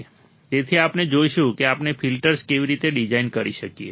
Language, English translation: Gujarati, So, we will see how we can design filters